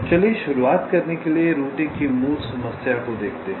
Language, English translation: Hindi, so let us see basic problem of routing to start with